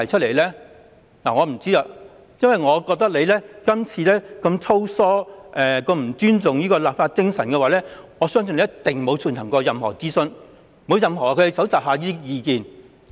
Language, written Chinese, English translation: Cantonese, 然而，當局這次修例如此粗疏，又不尊重立法精神，我相信一定沒有進行任何諮詢和蒐集任何意見。, However considering the Governments perfunctory acts and disrespect for the spirit of law - making in this amendment exercise I do not think there has been any consultation or gauge of opinions